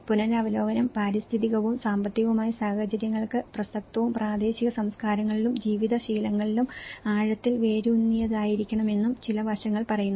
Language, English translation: Malayalam, Some of the aspects says the revision should be relevant to environmental and economic circumstances and deeply rooted in local cultures and living habits